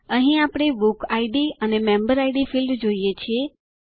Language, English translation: Gujarati, Here, we see the Book Id and Member Id fields